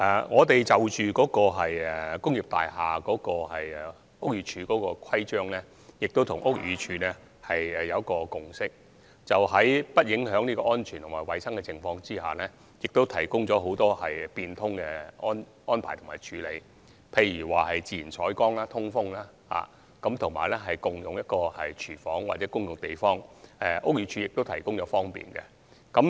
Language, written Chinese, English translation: Cantonese, 我們就着屋宇署對工業大廈的規章跟屋宇署有一個共識，就是在不影響安全和衞生的情況下，提供了很多變通的安排和處理，例如自然採光、通風、共用廚房及共用空間等，屋宇署都提供了方便。, We have reached a consensus with the Buildings Department BD in relation to its rules and regulations involving industrial buildings which is to exercise flexibility so long as safety and hygiene standards are not compromised . For instance facilitation has been provided by BD in the areas of natural lighting ventilation shared kitchen and shared space etc